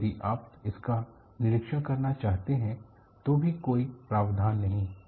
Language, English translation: Hindi, Even if you want to inspect it, there was no provision